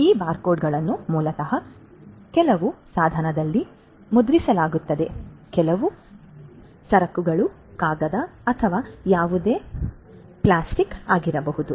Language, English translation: Kannada, These barcodes are basically printed on some device some goods may be paper or whatever paper or plastic and etcetera